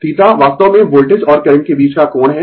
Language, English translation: Hindi, Theta actually angle between the voltage and current right